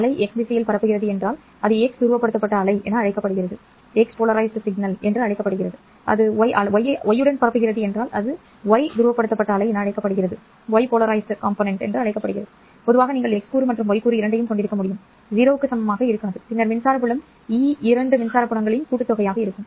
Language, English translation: Tamil, If the wave is propagating along y, it is called as the y polarized wave, it is possible for you to have in general both x component as well as y component not equal to zero and then the electric field e will be sum of two electric fields